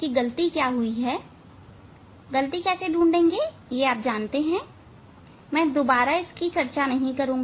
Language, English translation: Hindi, how to calculate error you know I am not going to discuss that one